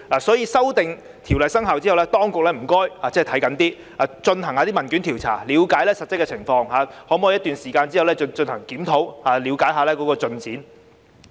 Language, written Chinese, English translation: Cantonese, 所以，在經修訂的條例生效後，請當局看緊一些，透過進行問卷調查了解實質情況，並在一段時間後進行檢討，以了解進展。, Therefore I urge the authorities to keep a close watch by conducting a questionnaire survey to understand the actual situation and having a review some time later to find out about the progress after the amended ordinance has come into operation